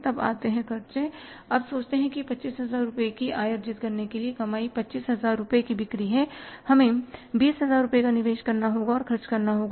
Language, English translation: Hindi, Now expenses be thought of that for earning a revenue of 25,000 rupees, earning sales of 25,000 rupees we will have to invest or spend 20,000 but we have saved here